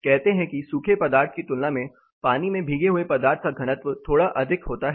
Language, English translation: Hindi, Say material soaked in water is slightly higher in density than dry material